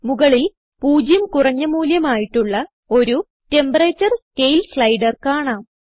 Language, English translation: Malayalam, On the top you can see Temperature: scale slider with zero as minimum value